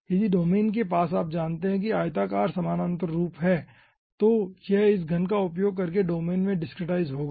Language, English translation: Hindi, if the domain is having ah, you know, rectangular, parallel, piped form, then it will be discretizing in the domain using this ah cube